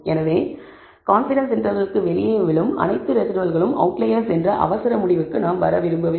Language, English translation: Tamil, Therefore, we do not want hastily conclude that all residuals falling outside the confidence interval are outliers